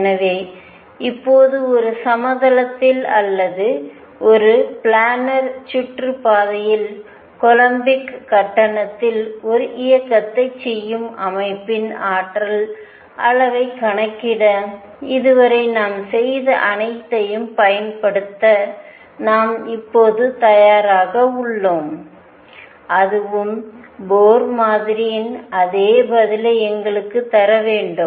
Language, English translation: Tamil, So, now, we are now ready to apply all this that we have done so far to calculate energy levels of the system doing a motion in a plane or in a planar orbit in columbic fees and that should give us the same answer as Bohr model